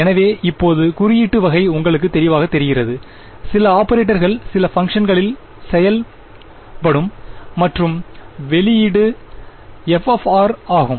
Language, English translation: Tamil, So, now the sort of notation is clear to you right there is some operator which acts on some function and output is f of r